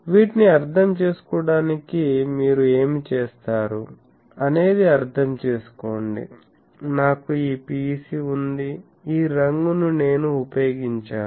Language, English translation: Telugu, So, what you do to understand these understand that; I have this PEC sorry, I should have used this colour you have a PEC